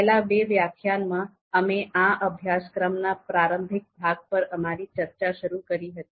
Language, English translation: Gujarati, So in the previous two lectures, we started our discussion on the introductory part of the course